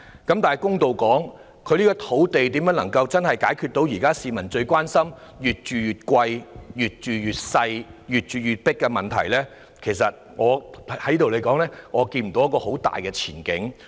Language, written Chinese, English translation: Cantonese, 說句公道話，對於如何運用土地，真正解決市民最關心"越住越貴、越住越細、越住越擠迫"的問題，我實在看不到有很大的前景。, To be fair I really do not see any promising progress in terms of land use to genuinely address peoples concern of their homes getting more expensive smaller and more crowded